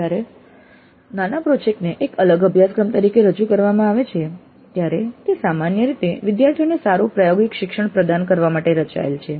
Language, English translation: Gujarati, Now when mini project is offered a separate course, it is generally designed to provide good experiential learning to the students